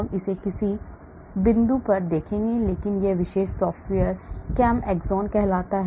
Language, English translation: Hindi, We will look at it at some point but this particular software called ChemAxon